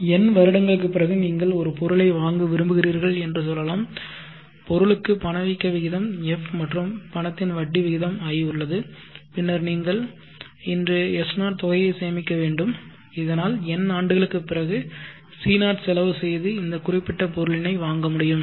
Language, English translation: Tamil, Now let us say that you want to purchase an item after n years the item has an inflation rate of F and the money has an interest rate of I, then you need to save S0 amount of money today, so that after n years you will be able to purchase this particular item which is today costing C0